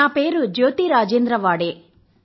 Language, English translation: Telugu, My name is Jyoti Rajendra Waade